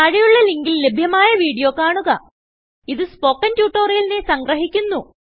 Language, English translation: Malayalam, Watch the video available at the following link: It summarises the Spoken Tutorial project